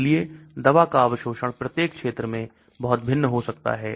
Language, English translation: Hindi, So the drug absorption can be very different in each region